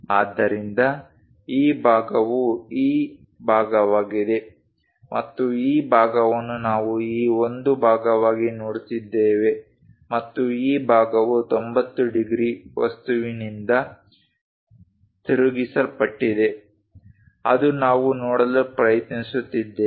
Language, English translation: Kannada, So, that this part is this part and this part we are looking as this one and this part is that is rotated by 90 degrees object, that one what we are trying to look at